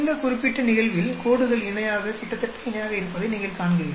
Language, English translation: Tamil, Whereas in this particular case, you see that the lines are parallel, almost parallel